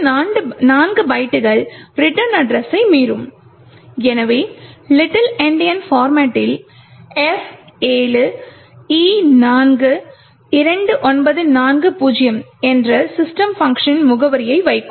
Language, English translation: Tamil, The next four strings would be overriding the return address, so in little Indian format will put the address of the system function that is F7E42940